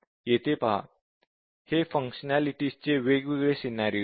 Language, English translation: Marathi, Just see here that, these are the different scenarios of operation